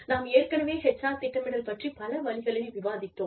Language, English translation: Tamil, We have already discussed, HR planning, in a variety of ways